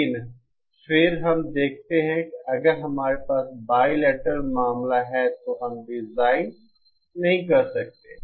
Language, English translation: Hindi, But then we see that if we have the bilateral case, then we cannot design